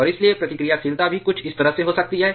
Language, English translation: Hindi, And therefore, reactivity can also be in somewhat like this